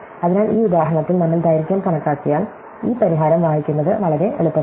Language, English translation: Malayalam, So, in this example as we see, once we computed the length, it is very easy to read off this solution